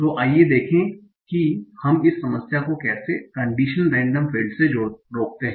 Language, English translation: Hindi, So how do we avoid this problem in condition random fields